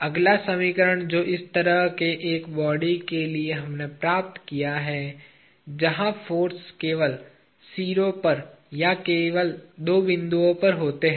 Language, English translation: Hindi, The next simplification derives from what we did for a body like this, where forces are only at the ends or at two points only